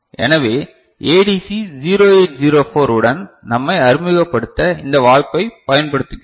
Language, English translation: Tamil, So, we take this opportunity to introduce ourselves with ADC 0804 ok